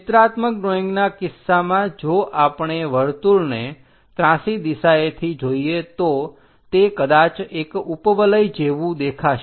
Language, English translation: Gujarati, In the case of pictorial drawing, a circle if we are looking at an inclined direction it might look like an ellipse